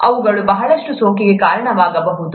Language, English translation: Kannada, They can, cause a lot of infection